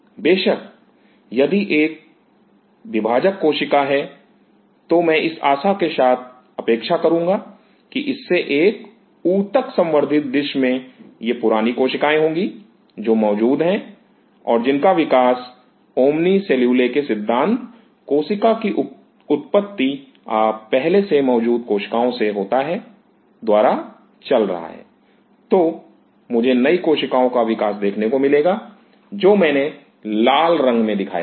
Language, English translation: Hindi, Of course, if this is a dividing cell then I will be expecting my expectation with this in a tissue cultured dish will be these are the old cells which are present then going by the theory of omni cellule cells existing arriving from preexisting cells, I should be able to see the development of the new cells, the one which I have shown in red